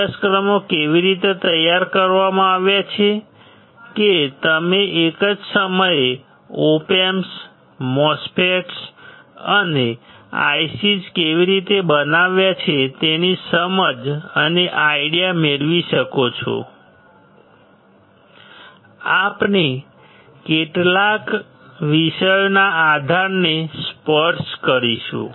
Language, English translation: Gujarati, The courses are designed in such a way that, you get the understanding and the idea of how the Op Amps the MOSFETs and IC s are fabricated at the same time, we will touch the base of few of the topics